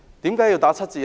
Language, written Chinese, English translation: Cantonese, 為何要打七折？, Why should a discount of 30 % be made?